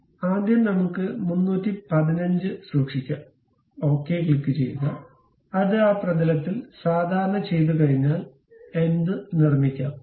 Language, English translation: Malayalam, So, first let us keep 315, click ok; once it is done normal to that plane, construct anything